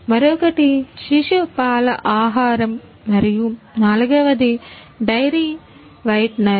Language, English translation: Telugu, The another one is infant milk food and the fourth one is Dairy whitener